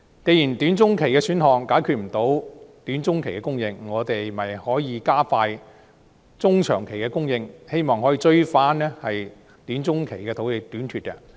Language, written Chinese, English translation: Cantonese, 既然短中期選項無法解決短中期的供應，我們是否可以加快中長期的供應，希望追及短中期的土地短缺？, Since the short - to - medium - term options cannot tackle the shortfall in the short - to - medium term can we accelerate the supply in the medium - to - long term in the hope of compensating the shortfall in the short - to - medium term?